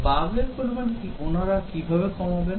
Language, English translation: Bengali, How do they reduce the bugs